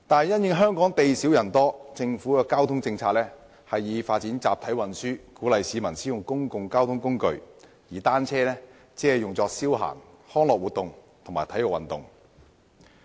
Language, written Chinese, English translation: Cantonese, 因應香港地少人多，政府的交通政策以發展集體運輸為主，鼓勵市民使用公共交通工具，而單車只用作消閒、康樂活動和體育運動。, Given that Hong Kong is a small but densely populated place the Government has focused its transport policy on the development of a mass transit system encouraging the use of public transport by members of the public while bicycles are only for leisure purposes recreational activities and sports